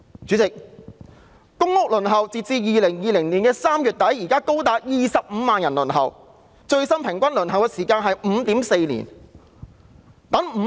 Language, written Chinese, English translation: Cantonese, 主席，截至2020年3月底，有高達25萬人在輪候公屋，最新的平均輪候時間是 5.4 年。, Chairman as at the end of March 2020 there were up to 250 000 people waiting for allocation of public housing and the latest average waiting time is 5.4 years